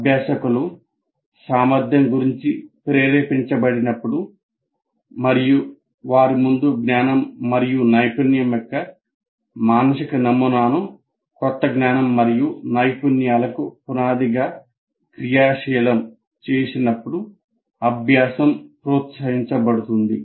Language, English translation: Telugu, And learning is promoted when learners are motivated about the competency and activate the mental model of their prior knowledge and skill as foundation for new knowledge and skills